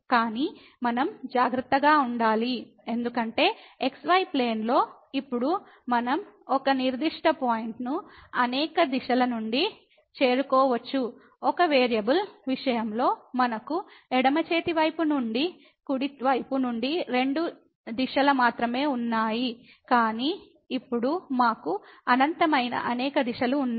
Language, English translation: Telugu, But we have to be careful because in the plane now we can approach to a particular point from several directions, while in case of one variable we had only two directions from the right hand side from the left hand side, but now we have infinitely many directions